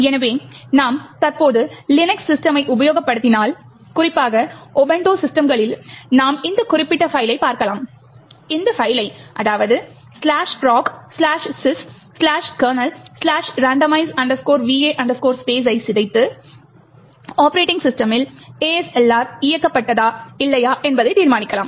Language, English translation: Tamil, So, if you are current Linux system especially in Ubuntu systems, you can look at this particular file, you can crack this file /proc/sys/kernel/randomize va space to determine whether your operating system has ASLR enabled or not